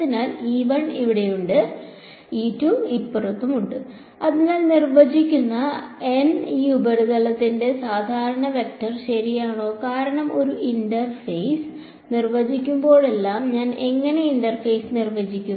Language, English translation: Malayalam, n cap is just the normal vector for this surface that defines the boundary ok, because whenever I define a interface I how do I define the interface